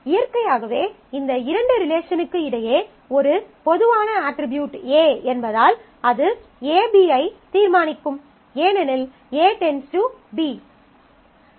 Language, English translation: Tamil, Naturally in between these two A is a common attribute and since and that will determine A B because A determines B